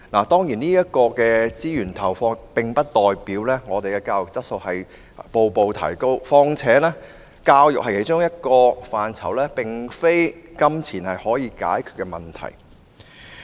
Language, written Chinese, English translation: Cantonese, 當然，資源的投放並不代表教育質素逐步提高，況且教育是其中一個並非金錢可以解決問題的範疇。, Certainly injection of resources in education does not mean that the quality of education will improve gradually . Besides education is not an area in which problems can be solved just by spending money